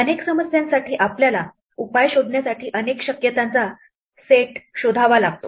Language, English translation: Marathi, For many problems, we have to search through a set of possibilities in order to find the solution